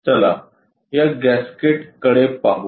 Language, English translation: Marathi, Let us look at this gasket